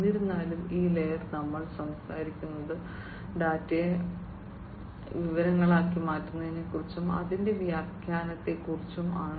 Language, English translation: Malayalam, However, in this layer we are talking about the conversion of the data into information, and its interpretation; information and its interpretation